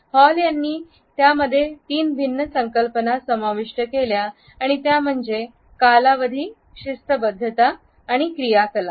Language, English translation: Marathi, Hall has included three different concepts within it and these are duration, punctuality and activity